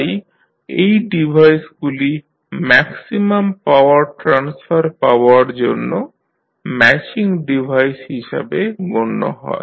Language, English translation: Bengali, So, these devices can also be regarded as matching devices used to attain maximum power transfer